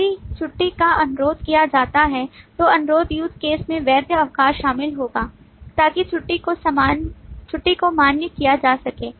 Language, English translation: Hindi, If the leave is requested, then request use case will include the validate leave so that the leave can be validated